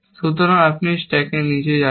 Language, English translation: Bengali, So, you must visualize this stack going down